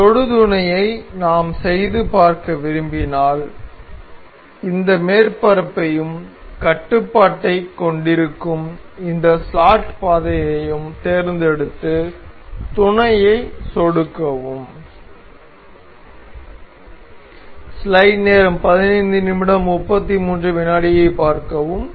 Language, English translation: Tamil, So, if we want to demonstrate this tangent mate we will select this surface and this slot path holding the control and click on mate